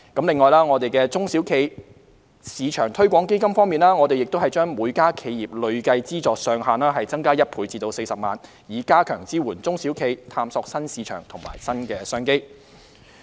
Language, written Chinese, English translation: Cantonese, 此外，在"中小企業市場推廣基金"方面，我們把每家企業的累計資助上限增加1倍至40萬元，以加強支援中小企探索新市場和新商機。, As regards the SME Export Marketing Fund we have doubled the cumulative funding ceiling per enterprise to 400,000 to strengthen support to SMEs in exploring new markets and new business opportunities